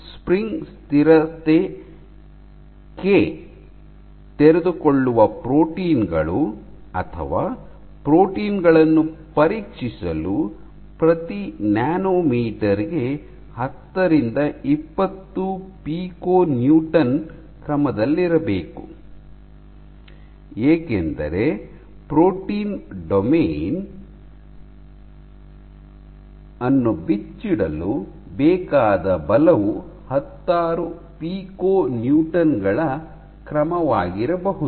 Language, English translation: Kannada, So, k the spring constant k has to be order 10 to 20 piconewton per nanometer, the spring constant has to be of this order, because the forces required for unfolding a protein domain might be of the order of tens of piconewtons